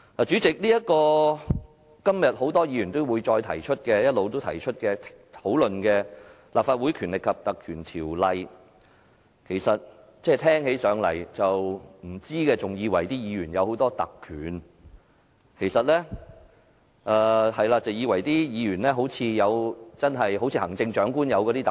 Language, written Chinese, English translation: Cantonese, 主席，今天很多議員一直提到，也一直討論的《立法會條例》，不知情者聽起來還以為議員擁有很多特權，以為議員擁有行政長官所擁有的那些特權。, President regarding the Ordinance repeatedly mentioned and discussed by numerous Members today people not knowing the details will probably misunderstand that Members have many privileges like all those privileges enjoyed by the Chief Executive